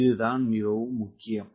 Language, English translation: Tamil, this statement is important